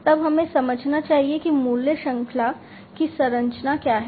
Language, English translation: Hindi, Then we should understand the what is the structure of the value chain